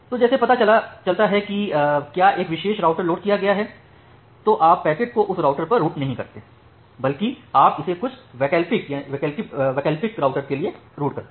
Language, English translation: Hindi, So, you find out that whether a particular router is loaded if a particular router is loaded then you rather not route the packet to that router rather you route it to some alternate router